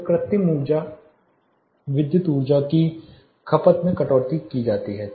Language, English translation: Hindi, So, that the artificial lighting energy electrical energy consumption is cut down